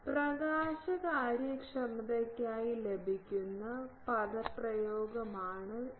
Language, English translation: Malayalam, This is the expression that is obtained for the illumination efficiency